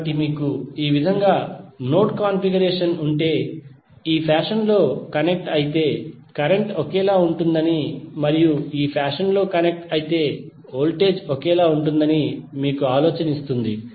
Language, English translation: Telugu, So this will give you an idea that if you have node configuration like this it means that the current will be same if they are connected in this fashion and voltage will be same if they are connected in this fashion